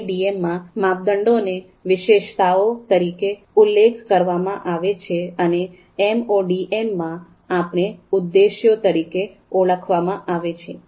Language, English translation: Gujarati, In MADM, we refer criteria as attributes, and in MODM, we refer criteria you know as objectives